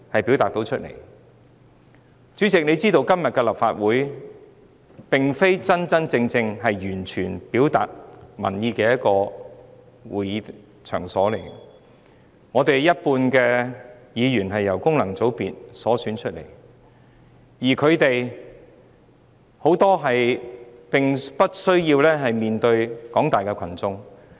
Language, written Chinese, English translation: Cantonese, 主席應也知道，今天的立法會並非完全能真正表達民意的場所，有半數立法會議員循功能界別選出，他們當中有很多並不需要面對廣大群眾。, As the President may be aware given the composition of the Legislative Council today it fails to truly and completely reflect public opinions because half of the Members here are returned by functional constituency elections and many of them need not face the public